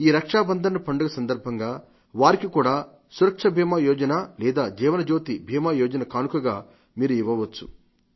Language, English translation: Telugu, To them also, you can gift Pradhan Mantri Suraksha Bima Yojna or Jeevan Jyoti Bima Yojna on this festival of Raksha Bandhan